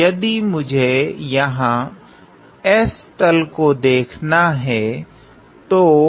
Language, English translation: Hindi, So, if I were to look at the s plane here